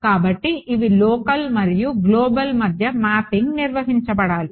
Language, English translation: Telugu, So, these are this mapping between local and global should be maintained ok